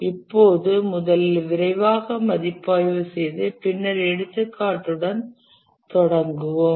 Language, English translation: Tamil, Now let's look at, let's review first quickly and then get started with the example